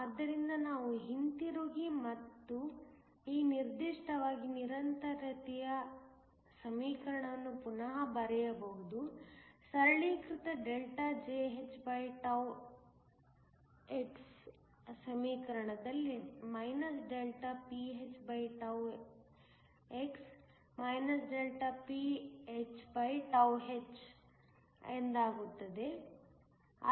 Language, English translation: Kannada, So, we can go back and rewrite the continuity equation, in this particular case in the equation simplified Jhx is ΔPnn, ΔPnh